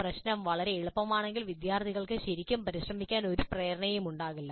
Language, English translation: Malayalam, The problem is too easy then the students would really not have any motivation to put in effort